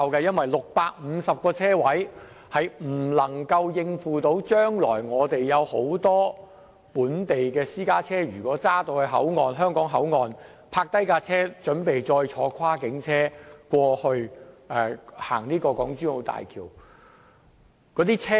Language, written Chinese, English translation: Cantonese, 現時只有650個泊車位，並不足以應付未來大量本地私家車於香港口岸停泊，以轉乘跨境車通過港珠澳大橋。, At present there are only 650 parking spaces which will not be sufficient for the large number of local private cars parking at HKBCF for interchange to transport services which cross the boundary via HZMB